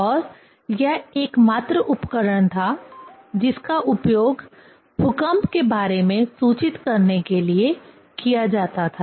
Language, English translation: Hindi, And that was the only instrument which was used to indicate the earthquake